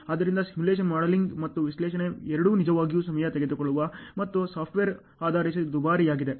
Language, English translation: Kannada, So, simulation modeling and analysis, both are really time consuming and expensive based on the software